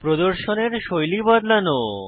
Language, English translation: Bengali, Change the style of the display